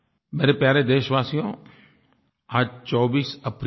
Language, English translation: Hindi, My dear fellow citizens, today is the 24th of April